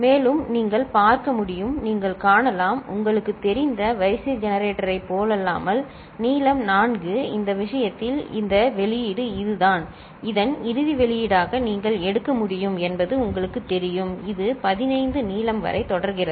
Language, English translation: Tamil, And, you can see, you can see unlike the sequence generator which was of you know, length 4, in this case this output which is the you know you can take as final output of it, continues up to a length which is 15